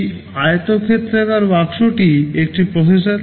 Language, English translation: Bengali, This rectangular box is a processor